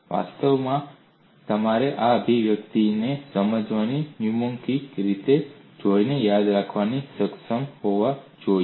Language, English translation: Gujarati, In fact you should be able to remember this expression, by looking at the mnemonic way of understanding them